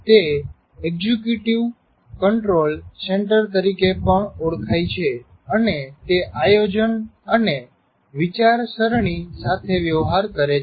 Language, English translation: Gujarati, And also it is known as the executive control center and it deals with planning and thinking